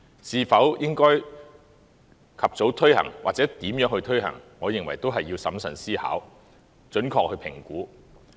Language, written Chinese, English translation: Cantonese, 是否應該及早推行或如何推行，我認為也須審慎思考，準確地評估。, I believe it is necessary to make prudent consideration and accurate assessment of whether or not they should be implemented early and how they should be implemented